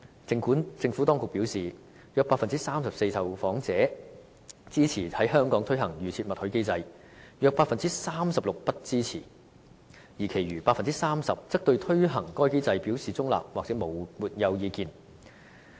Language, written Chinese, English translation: Cantonese, 政府當局表示，約 34% 受訪者支持在香港推行"預設默許"機制，約 36% 不支持，而其餘的 30% 則對推行該機制表示中立或沒有意見。, According to the Administration around 34 % of the respondents expressed support for the implementation of an opt - out system in Hong Kong while about 36 % were against it . The remaining 30 % were either neutral or did not specify their views